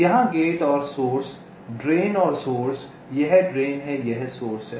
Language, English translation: Hindi, here, gate and the source, ah, drain and the source, this is drain, this is source and gate